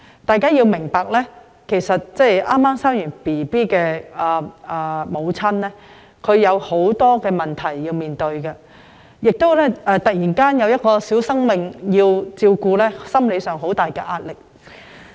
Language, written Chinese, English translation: Cantonese, 大家要明白，剛生育的母親會面對很多問題，而突然要照顧一個小生命，在心理上亦會承受很大壓力。, We must understand that a woman who has just given birth has to face a lot of problems and the sudden responsibility of having to take care of a newborn baby will also impose immense psychological pressure on the new mother